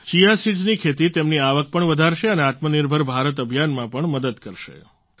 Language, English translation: Gujarati, Cultivation of Chia seeds will also increase his income and will help in the selfreliant India campaign too